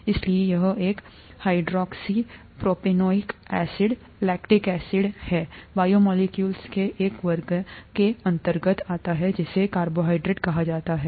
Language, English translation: Hindi, And therefore, this is a hydroxypropanoic acid, lactic acid belongs to a class of biomolecules called carbohydrates